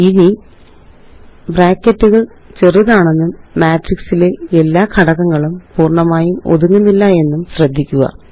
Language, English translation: Malayalam, Now, notice that the brackets are short and do not cover all the elements in the matrix entirely